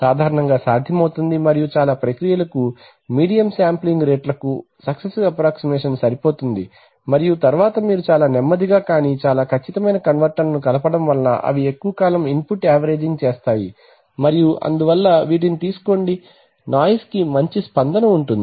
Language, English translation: Telugu, Then successive approximation is very widely used 8 to 16 bits possible generally and medium sampling rates for most processes successive approximation is good enough and then you have integrating converters which are quite slow but very accurate because they do an input averaging over long time and therefore they take, have good response to noise